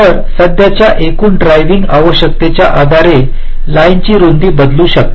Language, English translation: Marathi, so the width of the lines will vary depending on the total current driving requirements